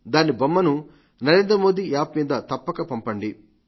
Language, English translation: Telugu, Do send a picture of it on 'Narendra Modi app